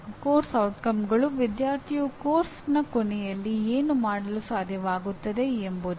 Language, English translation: Kannada, Course outcomes are what the student should be able to do at the end of a course